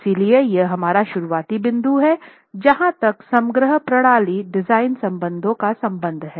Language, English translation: Hindi, So, this is our starting point as far as the overall system design forces are concerned